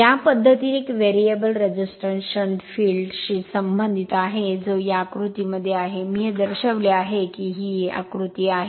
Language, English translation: Marathi, In this method a variable resistance is connected in series with the shunt field that is that is in this diagram, this I showed you this is the diagram right